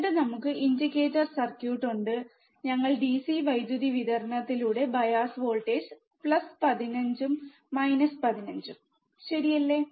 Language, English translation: Malayalam, And then we have the indicator circuit, we have given the bias voltage plus 15 minus 15 through the DC power supply, right